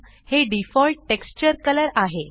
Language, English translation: Marathi, This is the default texture color